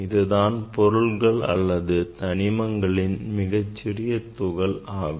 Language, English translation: Tamil, it is a smallest particle or element of the matter